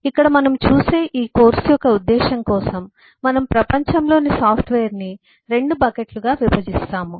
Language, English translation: Telugu, so here, for the purpose of this course we look at, we divide the software of the world in 2 buckets